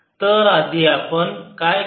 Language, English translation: Marathi, so what we will do again